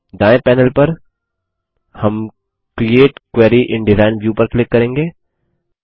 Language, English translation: Hindi, On the right panel, we will click on the Create Query in Design view